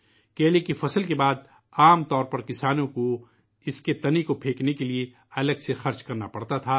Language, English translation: Urdu, After the harvesting of banana, the farmers usually had to spend a separate sum to dispose of its stem